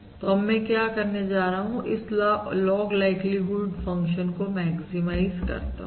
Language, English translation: Hindi, So what I am going to do is I am going to maximise this log likelihood function